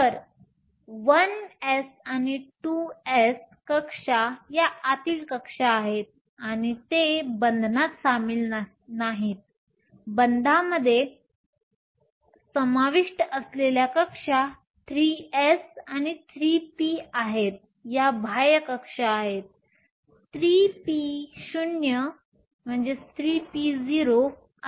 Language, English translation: Marathi, So, the 1 s and 2 s shells are the inner shells, and they are not involved in the bonding; the shells that are involved in bonding are 3 s and 3 p, these are the outer shells, should be 3 p 0